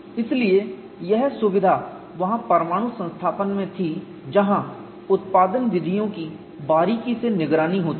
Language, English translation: Hindi, So, this luxury was there in nuclear establishment where there is close monitoring of production methods